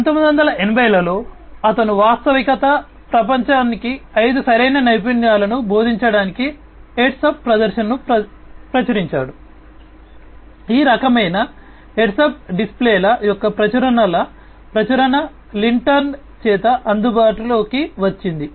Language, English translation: Telugu, In 1980s he published heads up display for teaching real world five right skills we are done this publication of public publications of this kind of heads up displays was made available by Lintern